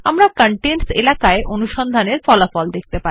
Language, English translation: Bengali, We will see the results of the search in the contents area